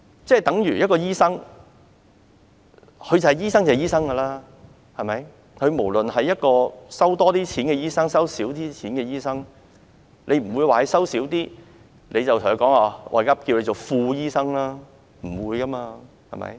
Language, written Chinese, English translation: Cantonese, 這等於醫生便是醫生，無論他收費高昂或收費便宜，你不會因為他的收費便宜而稱他為副醫生，不會這樣的。, Likewise a doctor is a doctor disregarding whether the fees charged by him are expensive or inexpensive . He will not be addressed as deputy doctor because he charges low fees . No this will not be the case